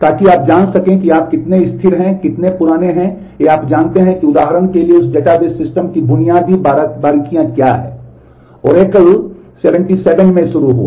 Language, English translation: Hindi, So that you know you know how stable, how old or you know what are the basic nuances of that database system for example, Oracle started in 77